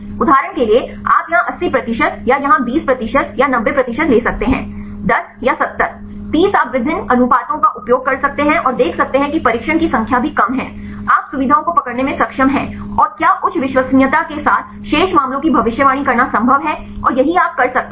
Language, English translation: Hindi, For example, you can take 80 percent here or 20 percent here or 90; 10 or 70; 30 you can use a various proportions and see whether even less number of training, you are able to capture the features and whether it is possible to predict the remaining cases with the high reliability and this is this you can do that